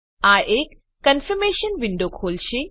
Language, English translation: Gujarati, This will open a Confirmation window